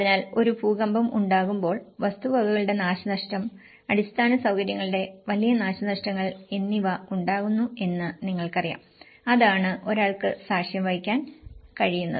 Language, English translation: Malayalam, So, when an earthquake hits, loss of property damage and you know huge infrastructure damage that is what one can witness